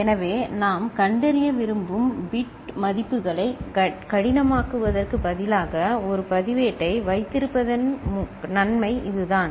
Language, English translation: Tamil, So, that is the advantage of having a register in place of hardwiring the bit values that we want to detect